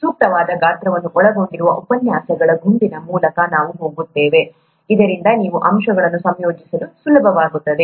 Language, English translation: Kannada, We’ll go through a set of lectures which will cover appropriately sized, so that it’ll be easy for you to assimilate aspects